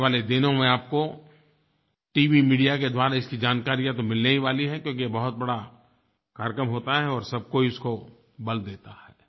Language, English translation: Hindi, In the coming days, you will get to know about this through TV media as it will be a very big programme and everyone will emphasize on it